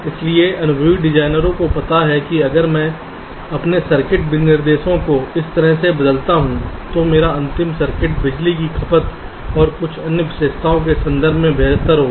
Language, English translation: Hindi, so experience designers know that if i change my input specification in this way, my final circuit will be better in terms of power consumption and some other characteristics also